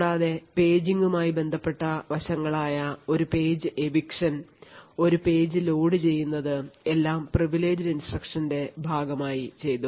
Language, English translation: Malayalam, Also the paging related aspects such as eviction of a page, loading of a page all done as part of the privileged instructions